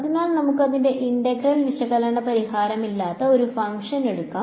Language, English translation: Malayalam, So, let us take a function f which has no analytical solution for its integral ok